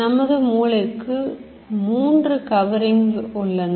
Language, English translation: Tamil, Brain has three coverings